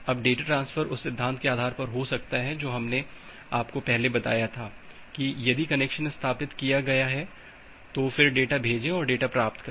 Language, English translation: Hindi, Now the data transfer can goes on based on the principle that we have shown you earlier that if established then send then send data or if established and receive data